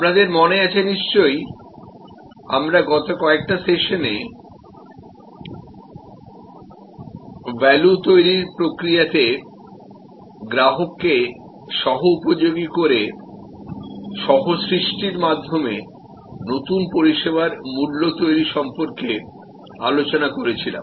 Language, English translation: Bengali, You recall, in the last couple of sessions we were discussing about new service value creation through co creation by co opting the customer in the value creation process